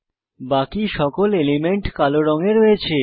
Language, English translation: Bengali, Rest all elements appear in black background